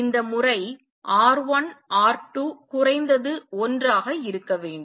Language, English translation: Tamil, And this times R 1 R 2 should be at least 1